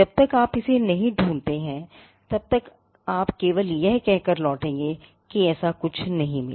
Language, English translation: Hindi, Unless you find it, you will only return by saying that such a thing could not be found